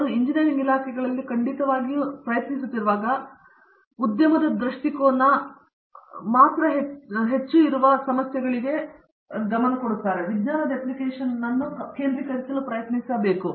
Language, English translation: Kannada, Where they are trying to, at least in engineering departments definitely, should be trying to focus on application of science to problems that are just a little bit longer than what the industry perspective is